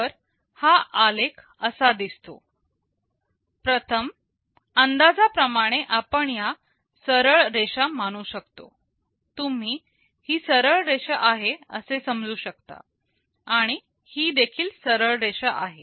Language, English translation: Marathi, Well the curve looks like this, but to a first approximation we can assume that these are straight lines, you can assume that this is straight line, this is also a straight line